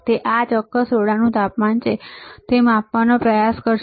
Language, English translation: Gujarati, So, it will try to measure what is the temperature of the this particular room